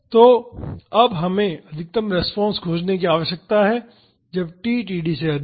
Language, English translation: Hindi, So, now, we need to find the maximum response when t is higher than td